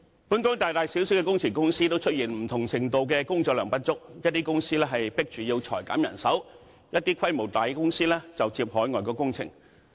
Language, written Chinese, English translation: Cantonese, 本港大大小小的工程公司，都出現不同程度的工作量不足，一些公司被迫裁減人手，規模大的公司就接海外工程。, Engineering companies in Hong Kong big and small are all faced with the problem of insufficient workload . Some companies are forced to lay off staff while larger companies engage in overseas works projects